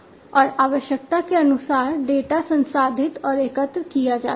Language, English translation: Hindi, And as per the requirement, the data is processed and aggregated